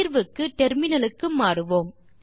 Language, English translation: Tamil, Switch to the terminal now